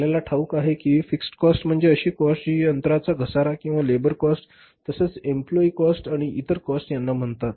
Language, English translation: Marathi, Fix cost as we know that it is a plant depreciation or the plant cost or the labor cost or say this employees cost or other kind of the cost